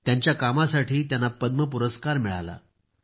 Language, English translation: Marathi, He has received the Padma award for his work